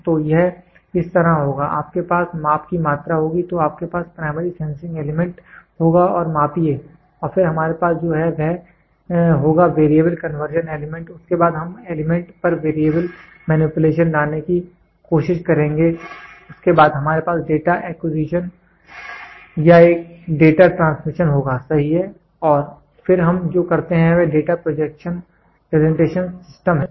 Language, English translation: Hindi, So, it will be like this so you will have measuring quantity, then you will have Primary Sensing Element measure it and then what we have is we will have Variable Conversion Element then we will try to have Variable Manipulation on Element, then we will have Data Acquisition or a Data Transmission, right and then what we do is Data Presentation System